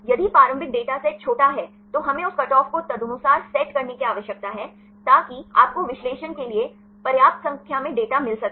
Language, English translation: Hindi, If the initial data set is small then we need to set that cutoff accordingly so that you will get sufficient number of data for analysis